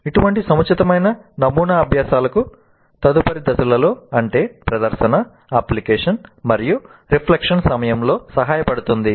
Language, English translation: Telugu, Such an appropriate model helps the learners during the subsequent phases of the instruction that is during demonstration, application and reflection